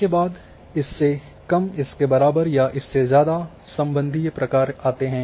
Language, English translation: Hindi, Then relational functions greater than equal to less than functions